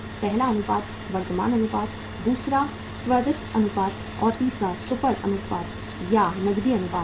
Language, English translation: Hindi, First ratio is the current ratio, second is the quick ratio and third one is the super quick ratio or the cash ratio